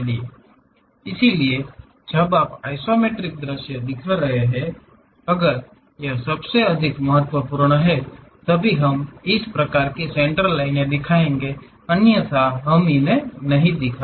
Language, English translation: Hindi, So, when you are showing isometric views; if it is most important, then only we will show these kind of centerlines, otherwise we should not show them